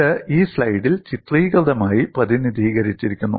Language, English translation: Malayalam, And this is pictorially represented in this slide